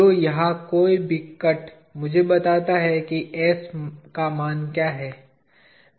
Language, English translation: Hindi, So, any cut here, tells me what is the s value